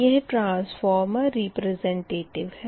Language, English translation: Hindi, and transformer can be represented